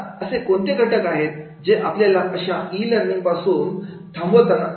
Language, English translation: Marathi, Now, what are the factors we stop to use of the e learning